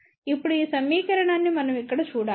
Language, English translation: Telugu, Now, we need to look at this equation here